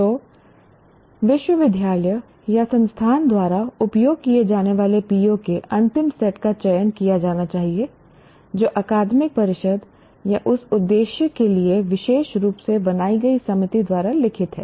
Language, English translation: Hindi, So the final set of POs to be used by the university or institution should be selected written by the Academic Council or a committee specially created for that purpose